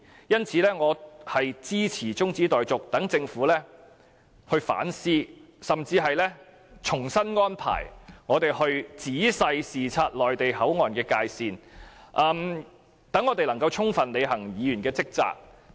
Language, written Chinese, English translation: Cantonese, 因此，我支持中止待續議案，讓政府反思甚至重新安排我們仔細視察內地口岸的界線，從而使我們能夠充分履行議員的職責。, Therefore I support the adjournment motion which will allow the Government to reconsider or even rearrange a visit for us to carefully inspect the boundary of the Mainland Port Area so that we can fully perform our duties as Members